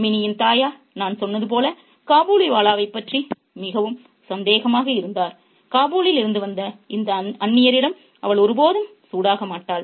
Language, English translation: Tamil, Minnie's mother remained, as I said, very suspicious of the Kabaliwala and she never warms up to this stranger from Kabul